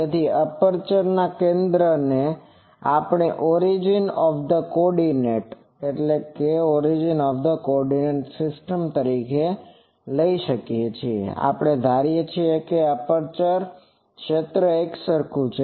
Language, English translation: Gujarati, So, the center of the aperture that there we take the origin of the coordinate system and we assume that aperture field is uniform